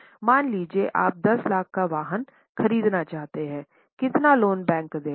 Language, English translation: Hindi, Suppose you want to buy a vehicle of 10 lakhs